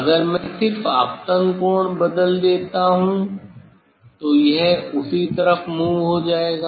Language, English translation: Hindi, If I just change the incident angle, so it will move at the same side